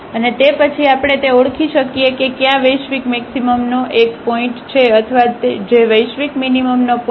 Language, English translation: Gujarati, And then, we can identify that which one is the point of maximum the global maximum or which one is the point of a global minimum